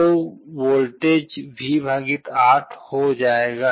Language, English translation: Hindi, So, the voltage will become V / 8